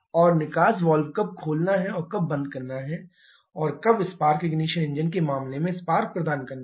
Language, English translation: Hindi, And when to open the exhaust valve and when to close it and when to provide the spark in case of spark ignition engine